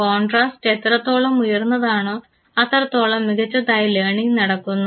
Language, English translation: Malayalam, So, the higher is the contrast the better is the learning because you can distinguish two things